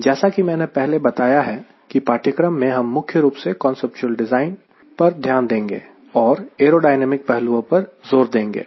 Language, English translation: Hindi, as i have told you earlier, this course will focus primarily on the conceptual configuration design, with more stress on the aerodynamic aspects